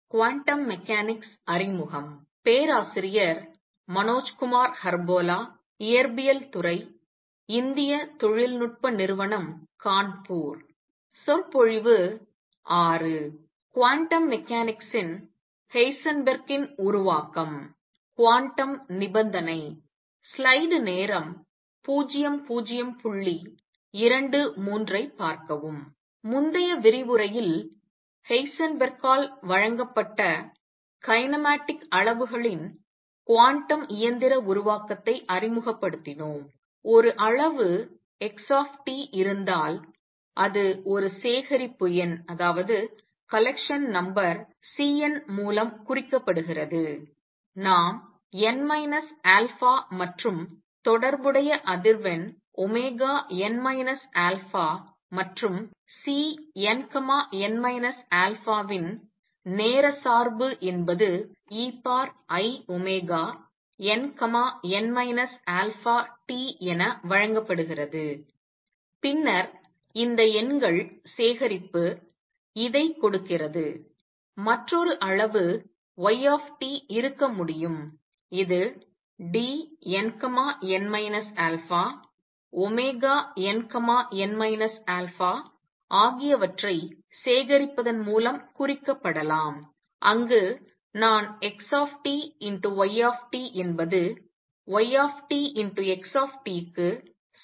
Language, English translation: Tamil, In the previous lecture, we introduced the quantum mechanical formulation of kinematic quantities by Heisenberg, we said if there is a quantity x t it is represented by a collections number C n, let’s say n minus alpha and the corresponding frequency omega n, n minus alpha and the time dependence of C n, n minus alpha is given as e raise to i omega n, n minus alpha t, then this collection of numbers gives this, there could be another quantity y t which can be represented by collection of D n, n minus alpha omega n, n minus alpha and there I said that x t y t is not equal to y t x t